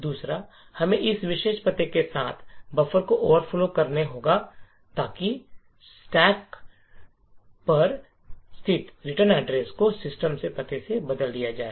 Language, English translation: Hindi, Second we need to overflow the buffer with this particular address so that the written address located on the stack is replaced by the address of system